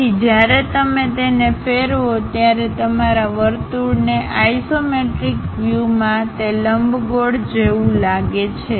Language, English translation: Gujarati, So, in isometric views your circle when you rotate it, it looks like an ellipse